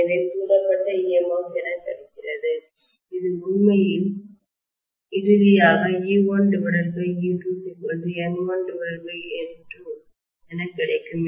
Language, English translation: Tamil, So what is available as the induced EMF which is actually giving me the relationship finally e1 by e2 equal to you know N1 by N2